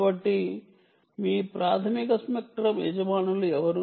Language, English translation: Telugu, so who are your primary ah spectrum owners